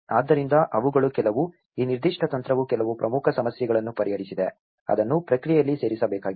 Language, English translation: Kannada, So, they have been some, this particular strategy have addressed some key issues, that has to be included in the process